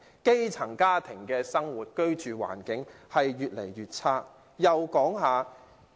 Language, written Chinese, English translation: Cantonese, 基層家庭的居住環境越來越差。, The living environment of grass - roots families is getting worse